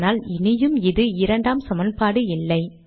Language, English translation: Tamil, Now this has become the third equation